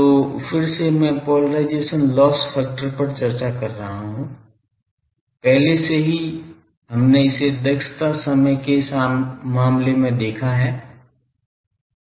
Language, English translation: Hindi, So, this is again I am discussing polarisation loss factor; already we have seen it in case of a efficiency time